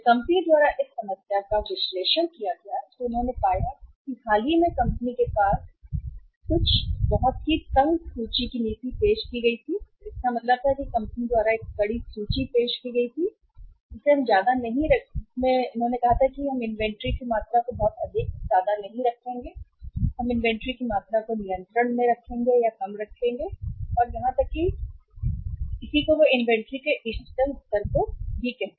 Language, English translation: Hindi, When this problem was analyzed by the company they found that recently the company had introduced or sometime back the company had introduced the policy of very tight inventory means a tightened inventory policy was introduced by the company that we will not keep much very high amount of inventory and we will keep the amount of inventory under control or lesser than the say say even the optimum level of inventory